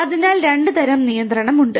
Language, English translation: Malayalam, So, there are two types of control